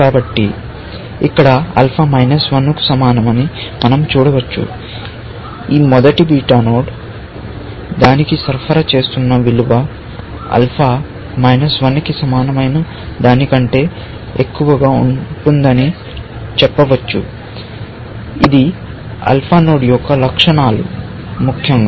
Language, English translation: Telugu, So, here we can see that alpha is equal to minus 1; that is the value this first beta node is supplying to it, which we can read as saying that alpha is going to be greater than equal to minus 1, which is the characteristics of an alpha node, essentially